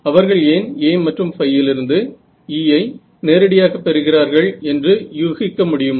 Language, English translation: Tamil, Any guesses why they are going directly to E from A and phi, why I am a going to E